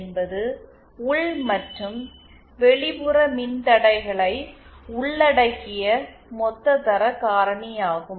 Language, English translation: Tamil, And QL is the total quality factor that is including the internal and external resistances